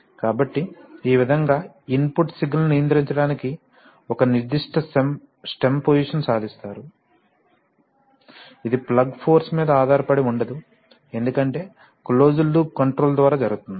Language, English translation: Telugu, So in this way, you achieve a particular stem position to control input signal, it does not depend on the plug force right, because by closed loop control